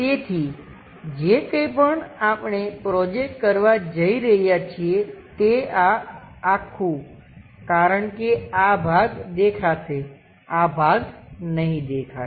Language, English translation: Gujarati, So, whatever the things if we are going to project, this entire thing because this part will be visible, this part is non visible